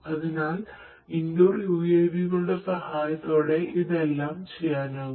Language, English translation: Malayalam, So, all of these things can be done in with the help of indoor UAVs